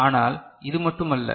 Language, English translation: Tamil, But, that is not all